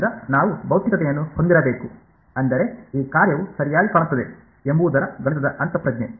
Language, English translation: Kannada, So, we should have a physical I mean a mathematical intuition of what this function looks like right